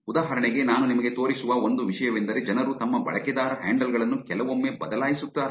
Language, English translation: Kannada, For example, one thing I will show you also is people actually change their user handles sometimes